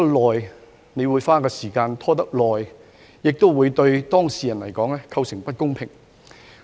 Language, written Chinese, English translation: Cantonese, 案件拖延審理，對當事人構成不公平。, Any delays in case hearings will constitute unfairness to the parties involved